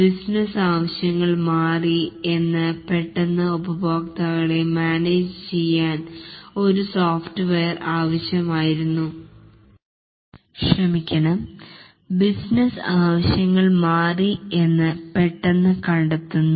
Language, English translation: Malayalam, The business needs change, that is the customer who wanted to have the software for certain business needs, suddenly finds that the business needs has changed